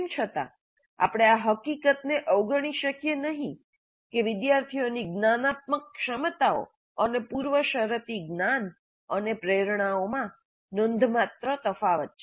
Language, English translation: Gujarati, However, we cannot ignore the fact that the students have considerable differences in their cognitive abilities and prerequisite knowledge and motivations